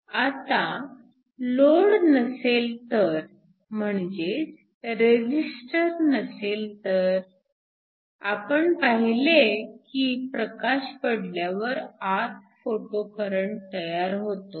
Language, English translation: Marathi, Now in the absence of a load, where the resistor is 0, we saw that when you shine light you have a photocurrent that is generated within